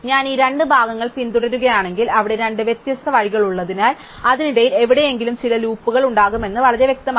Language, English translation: Malayalam, So, if I follow the two parts, then it is very clear that because there are two different ways are going there, there will be some loops somewhere in between